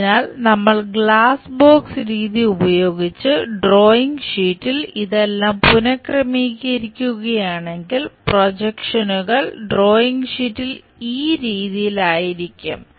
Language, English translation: Malayalam, So, if we are rearranging all this thing on the drawing sheet using glass box method, projections turns out to be in this way on the drawing sheet